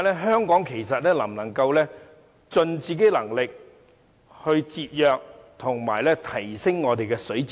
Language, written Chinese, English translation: Cantonese, 香港能否盡自己能力節約和提升我們的水資源？, It is because we have to ask whether Hong Kong has the ability to conserve and enhance our water resources